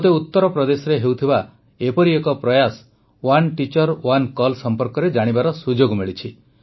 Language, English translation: Odia, I got a chance to know about one such effort being made in Uttar Pradesh "One Teacher, One Call"